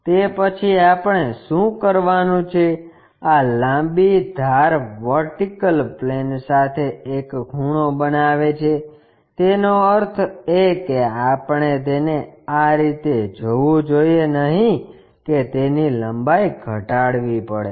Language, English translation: Gujarati, After that what we have to do is this longer edge makes an inclination angle with the vertical plane, that means, we should not see it in this way it has to decrease its length